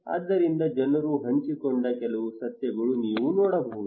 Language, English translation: Kannada, So these some of the facts people have shared